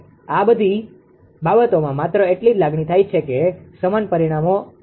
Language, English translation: Gujarati, Throughout this thing just to have a feeling same parameters are used right